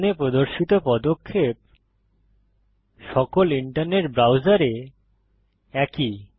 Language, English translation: Bengali, The steps shown here are similar in all internet browsers